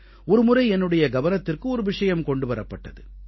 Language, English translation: Tamil, Once, an interesting fact was brought to my notice